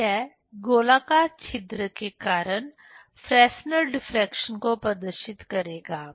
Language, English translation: Hindi, So, this will demonstrate the Fresnel diffraction due to circular aperture